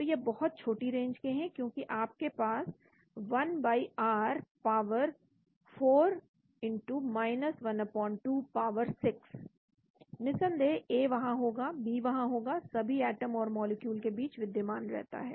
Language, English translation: Hindi, So they are very short range because you have 1/r power 4 1/8 power 6, of course A will be there, B will be there, exists between all atoms and molecules